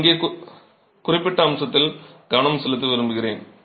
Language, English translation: Tamil, I would like to focus on a particular aspect here